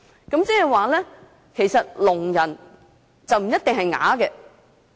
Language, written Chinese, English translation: Cantonese, 換句話說，聾人不一定是啞巴。, In other words deaf people are not necessarily mute